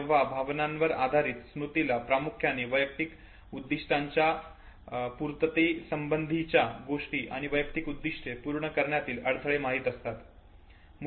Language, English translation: Marathi, The emotion driven memory would largely no have either the issues related to attainment or episodes related to blockage of the personal goals